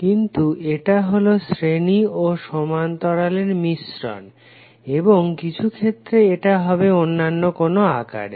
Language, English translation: Bengali, But it is a combination of series, parallel and sometimes it is having a different shape